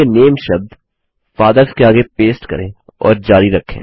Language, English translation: Hindi, Lets paste the word NAME next to Fathers as well and continue